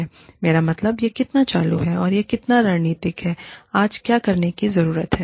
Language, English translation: Hindi, I mean, how much of it is operational, and how much of it is strategic, what needs to be done, today